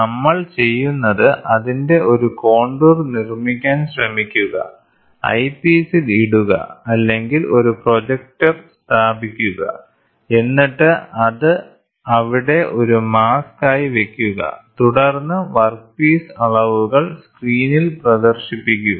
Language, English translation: Malayalam, So, what we do is we try to make a contour of it, put in the eyepiece or have a projector and then have it as a mask there and then project the screen project the workpiece dimensions